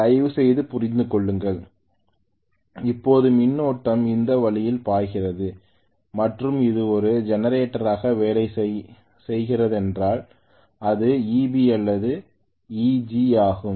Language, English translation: Tamil, Please understand that now the current is flowing this way and this is EB or EG if it is working as a generator